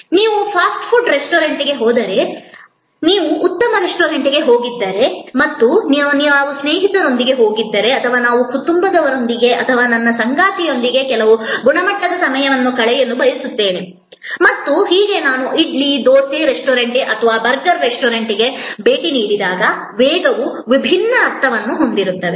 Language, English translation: Kannada, If you go to a fast food restaurant, but of course, if you have go to gone to a fine dining restaurant and we have gone with somebody near and dear and we would like to spend some quality time with the family or with my spouse and so on and in that case the speed will have a different meaning then when I visited idly, dosa restaurant or a burger restaurant